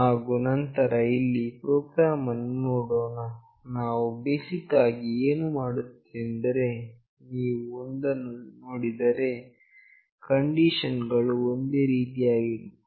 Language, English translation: Kannada, And then let us see the program here, what we are doing basically that the conditions would be pretty same, if you see one